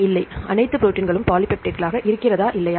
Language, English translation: Tamil, No, but all proteins are polypeptides or not